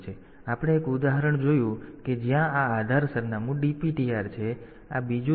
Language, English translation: Gujarati, So, we have seen an example where the base address is DPTR; so, this other one is